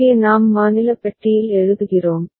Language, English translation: Tamil, Here it is we are writing in the state box ok